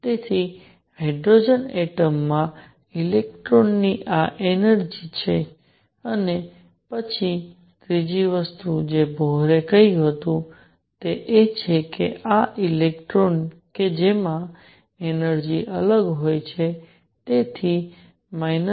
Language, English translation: Gujarati, So, this is the energy of an electron in hydrogen atom and then the third thing that Bohr said is that these electrons that have energies which are different, so minus 13